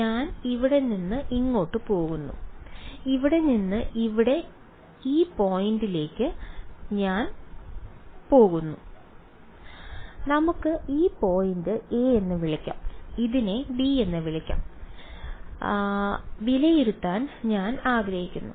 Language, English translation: Malayalam, So, I am going from here to here from this point over here to this point over here and I want to evaluate let us call this point a and let us call this b ok